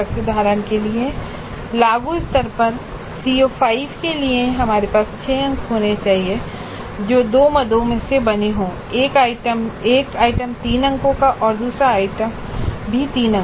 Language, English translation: Hindi, For example for CO5 at apply level we need to have 6 marks that is made up of 2 items, 1 item of 3 marks and another item of three marks